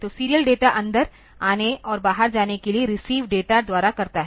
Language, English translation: Hindi, So, the serial data enters and exits through receives data; so, serials